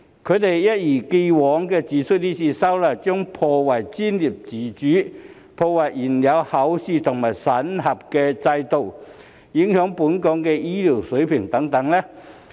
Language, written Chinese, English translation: Cantonese, 他們一如既往地指出，今次修例將破壞專業自主、破壞現有考試和審核制度、影響本港醫療水平等。, As always they have said that this legislative amendment will undermine professional autonomy as well as the existing examination and assessment system and affect the healthcare standard of Hong Kong